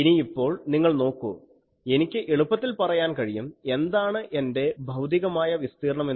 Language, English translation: Malayalam, So, now you see I can easily tell that what is my physical area